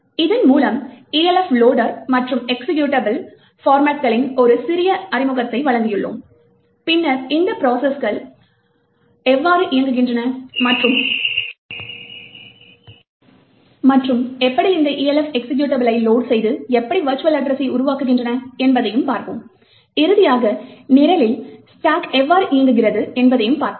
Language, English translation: Tamil, With this, we have given a small introduction to Elf loader and executable formats and then we have also seen how processes execute and load these executables Elf executables and create a virtual address and finally we have seen how the stack in the program operates